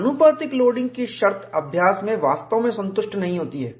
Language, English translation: Hindi, Condition of proportional loading is not satisfied strictly in practice